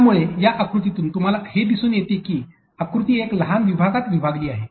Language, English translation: Marathi, So, from this diagram you can be able to see that the diagram is divided into a smaller smaller units